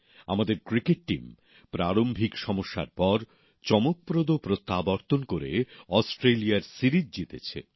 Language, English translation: Bengali, Our cricket team, after initial setbacks made a grand comeback, winning the series in Australia